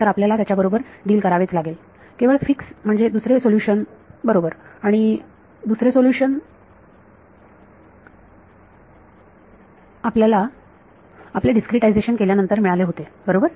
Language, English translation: Marathi, Then you have to deal with it the only fix to it is the second solution right and the second solution was by making your discretization fine right